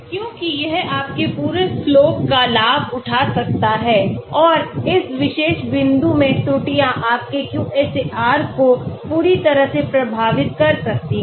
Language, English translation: Hindi, Because that could be leveraging your entire slope and errors in this particular point could completely affect your QSAR